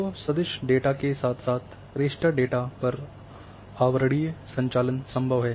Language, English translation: Hindi, So, overlaying operations on vector data as well as on raster data it is possible